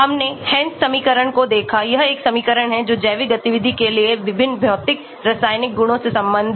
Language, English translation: Hindi, We looked at Hansch equation this is a equation relating various physicochemical properties to the biological activity